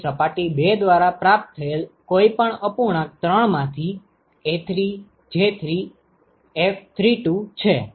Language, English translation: Gujarati, So, whatever fraction that is received by surface 2, from 3 is A3J3 into F32 right